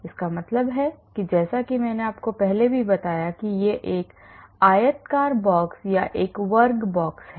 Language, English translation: Hindi, that means as I mentioned before it is a rectangular box or a square box